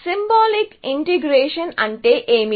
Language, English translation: Telugu, So, what do you mean by symbolic integration